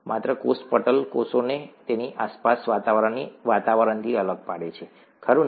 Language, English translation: Gujarati, Only the cell membrane distinguishes the cell from its surroundings, right